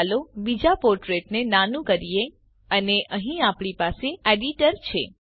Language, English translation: Gujarati, Let us minimise the other portlets and here we have the editor